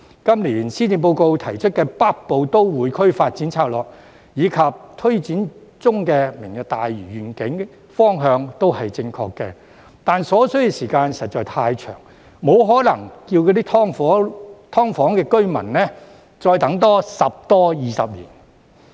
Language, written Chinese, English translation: Cantonese, 今年施政報告提出的《北部都會區發展策略》，以及推展中的"明日大嶼願景"，方向都正確，但所需的時間實在太長，沒可能要求"劏房"居民再多等十多二十年。, Both the Northern Metropolis Development Strategy put forth in this years Policy Address and the Lantau Tomorrow Vision being taken forward are in the right direction only that the lead time is excessively long and we cannot possibly expect residents of SDUs to wait another 10 to 20 years